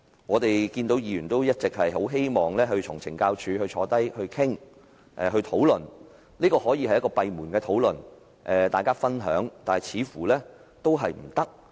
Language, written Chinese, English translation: Cantonese, 我們議員一直很希望與懲教署官員坐下來討論，也可以閉門討論和分享，但似乎仍然行不通。, We legislators have been hoping that we can sit down and discuss that with correctional officials . We think the discussion and sharing can be conducted behind closed door . But that simply wont work